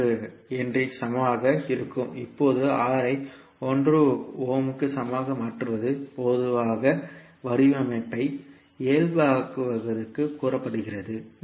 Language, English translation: Tamil, 3 henry, now making R equal to 1 ohm generally is said that it is normalizing the design